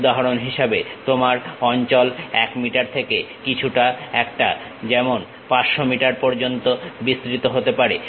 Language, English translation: Bengali, For example, your space might be from 1 meter to extend it to something like 500 meters